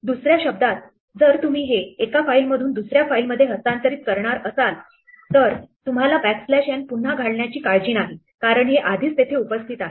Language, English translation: Marathi, In other words, if you are going to transfer this from one file to another, you do not want to worry reinserting the backslash n because this is already there